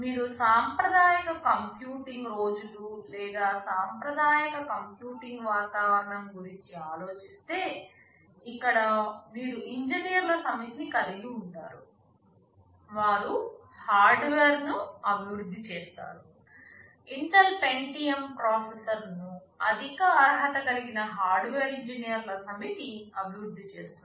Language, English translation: Telugu, You think about the conventional computing days or traditional computing environment, where you have a set of engineers, who develop the hardware, the Pentium processor is developed by Intel by a set of highly qualified hardware engineers